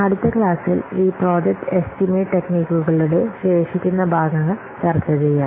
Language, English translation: Malayalam, Next class, we will see the remaining parts of this project estimation techniques